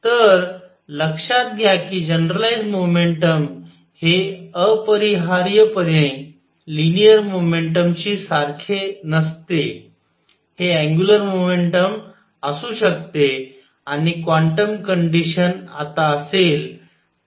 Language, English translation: Marathi, So, notice that generalized momentum is not necessarily same as linear momentum it could be angular momentum and the quantum condition now would be